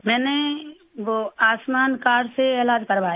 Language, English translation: Hindi, I have got the treatment done with the Ayushman card